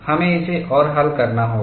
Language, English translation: Hindi, We have to solve this further